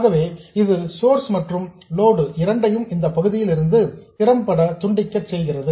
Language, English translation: Tamil, So effectively this cuts off both the source and the load from this part of the circuit